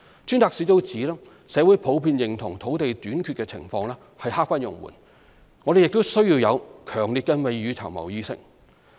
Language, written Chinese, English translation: Cantonese, 專責小組指社會普遍認同土地短缺情況刻不容緩，我們亦需要有強烈的未雨綢繆意識。, According to the Task Force society in general recognizes the dire situation of land shortage and feels strongly about the need to tackle the situation without delay while preparing for rainy days